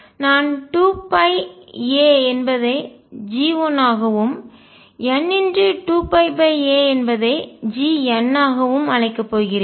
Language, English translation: Tamil, I am going to call 2 pi over a is equal to G 1 and n times 2 pi over a as G n